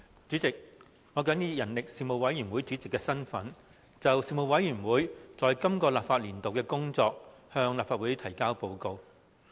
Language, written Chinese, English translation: Cantonese, 主席，我謹以人力事務委員會主席的身份，就事務委員會本立法年度的工作，向立法會提交報告。, President in my capacity as Chairman of the Panel on Manpower the Panel I submit to the Legislative Council the report of the Panel for the current legislative session